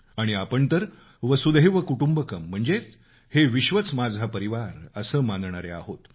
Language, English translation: Marathi, And, we are believers in "Vasudhaiv Kutumbakam" which means the whole world is our family